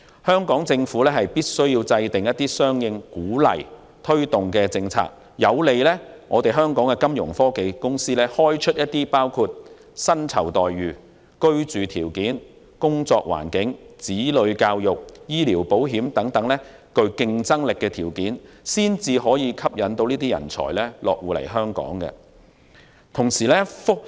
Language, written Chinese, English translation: Cantonese, 香港政府必須制訂相應政策加以鼓勵和推動，以便香港的金融科技公司在包括薪酬待遇、居住條件、工作環境、子女教育、醫療保險等方面開出具競爭力的條件，方能吸引這類人才落戶香港。, The Hong Kong Government must formulate corresponding policies to encourage and promote Fintech in Hong Kong so that the Fintech companies can offer competitive terms to potential talents including remuneration packages accommodation working environment education for children and medical insurance to attract such talents to set foot in Hong Kong